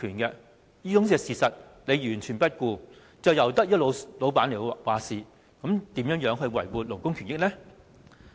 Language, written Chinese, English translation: Cantonese, 然而，政府完全不顧這種事實，任由僱主決定，試問這樣如何維護勞工權益呢？, However the Government turns a blind eye to the reality and allows employers to make the decision . How can labour rights be protected in such circumstances?